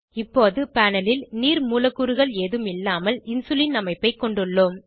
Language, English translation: Tamil, Now on panel we have Insulinstructure without any water molecules